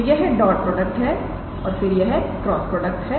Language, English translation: Hindi, So, this is the dot product and then this is the cross product